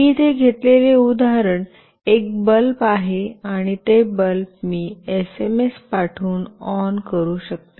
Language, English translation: Marathi, The example that I will be taking here is a bulb, and that bulb I will switch on by sending an SMS